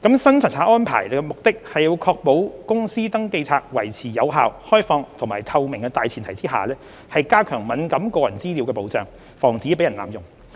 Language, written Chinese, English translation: Cantonese, 新查冊安排的目的是要確保公司登記冊維持有效、開放和透明的大前提下，加強敏感個人資料的保障，防止被人濫用。, The purpose of the new inspection regime is to enhance the protection for sensitive personal information against misuse on the premise of ensuring the effectiveness openness and transparency of the Companies Register